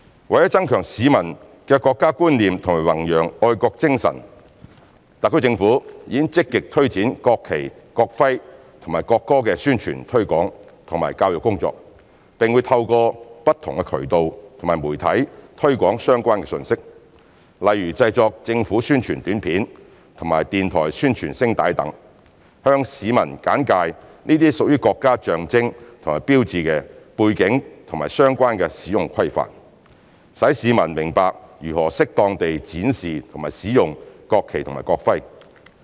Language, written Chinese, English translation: Cantonese, 為增強市民的國家觀念和弘揚愛國精神，特區政府已積極推展國旗、國徽和國歌的宣傳推廣和教育工作，並會透過不同渠道和媒體推廣相關信息，例如製作政府宣傳短片及電台宣傳聲帶等，向市民簡介這些屬國家象徵和標誌的背景和相關使用規範，使市民明白如何適當地展示及使用國旗及國徽。, To strengthen the national sense of the members of the public and promote patriotism the HKSAR Government has taken forward publicity and educational work of national flag national emblem and national anthem in a proactive manner as well as made use of different channels and media to publicize relevant messages . For instance announcements in the public interest on television and radio for promoting the knowledge of these national symbols and signs and the related rules of usage will be produced in order to educate members of the public to properly display or use the national flag and the national emblem